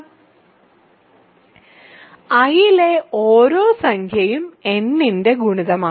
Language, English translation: Malayalam, Now, we want to say that every integer in I is a multiple of n